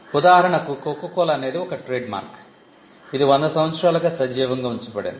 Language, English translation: Telugu, For instance, Coca Cola is a trademark which has been kept alive for close to 100 years